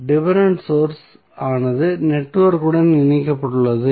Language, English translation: Tamil, The dependent source which is connected to the network